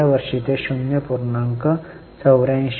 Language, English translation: Marathi, In the last year it was 0